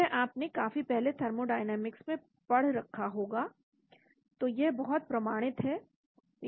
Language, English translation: Hindi, this you must have studied long time back in thermodynamics, so this is very standard